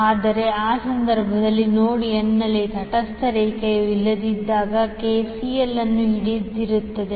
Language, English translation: Kannada, But in those cases when the neutral line is absent at node n KCL will still hold